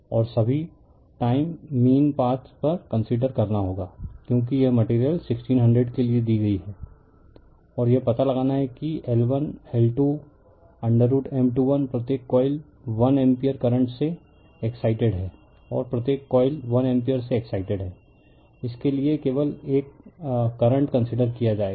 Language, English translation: Hindi, And you have to you have to consider the your mean path all the time in mu r for this one is given for this material is 1600 right it is given and you have to find out L 1, L 2, M 1 2 M 2 1 each coil is excited with 1 ampere current and each coil is excited with 1 ampere current will only considered for this one